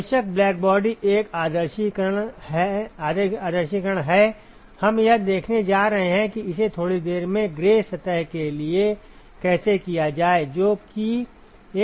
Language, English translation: Hindi, Ofcourse blackbody is an idealization, we are going to see how to do this for a gray surface in a short while, which is a real system ok